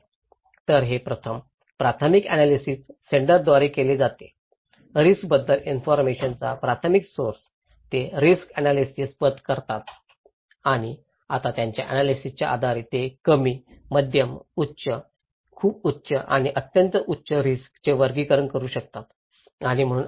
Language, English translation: Marathi, So, these first primary analysis is done by the senders, the primary source of informations about risk, they do the risk analysis path, and now they based on their analysis they can categorize the risk low, medium, high, very high or extreme high and so you can